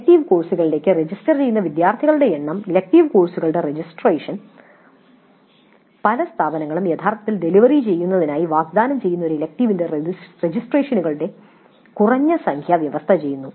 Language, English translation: Malayalam, Then the number of students who register for the elective courses, the registrants for the elective courses, many institutes stipulate a minimum number of registrants for an offered elective for it to be actually delivered